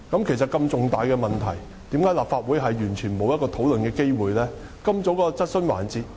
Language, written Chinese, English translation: Cantonese, 其實，如此重大的問題，為何立法會完全沒有討論的機會呢？, In fact why is the Legislative Council deprived of the chance to debate such an important issue?